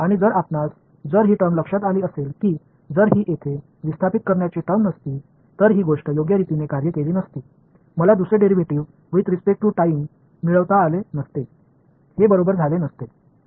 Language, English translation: Marathi, And if you notice if this term over here if this displacement term were not here this thing would not have worked right, I would not have been able to get the second derivative with respect to time, this guy would not have happened right